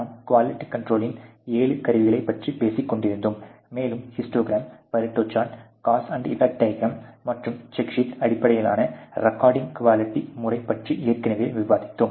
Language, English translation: Tamil, We were talking about the seven tools of QC, and we had already discussed earlier the histogram, the pareto diagram, the cause and effect diagram, and the check sheet based methodology of recoding quality